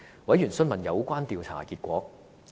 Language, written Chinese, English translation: Cantonese, 委員詢問有關調查的結果。, Members ask about the findings of the survey